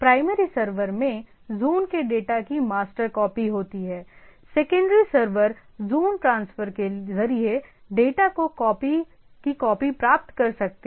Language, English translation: Hindi, The primary server contains the master copy of the data of the zone; secondary servers can get copies of the data through a zone transfer